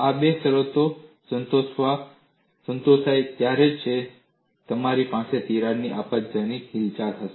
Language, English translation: Gujarati, Only when these two conditions are satisfied, you will have catastrophic movement of crack